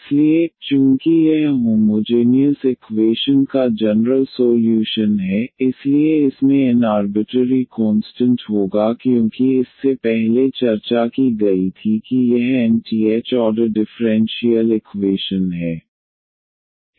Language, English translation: Hindi, So, here since this is the general solution of the homogeneous equation this will have n arbitrary constants as discussed before that this is the nth order differential equation